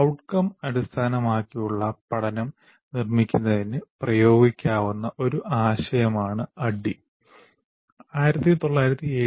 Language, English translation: Malayalam, And ADI, this ADD concept can be applied for constructing outcome based learning